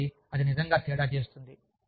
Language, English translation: Telugu, So, that really makes a difference